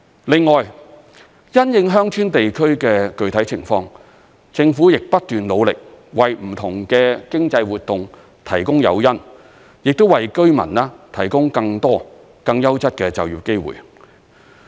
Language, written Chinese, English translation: Cantonese, 另外，因應鄉村地區的具體情況，政府亦不斷努力，為不同的經濟活動提供誘因，亦為居民提供更多、更優質的就業機會。, Besides having regard to the specific circumstances of rural areas the Government has also devoted ongoing efforts to providing incentives for various economic activities and in turn offering residents more job opportunities of a higher quality